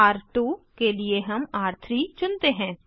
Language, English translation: Hindi, For R2 we choose R3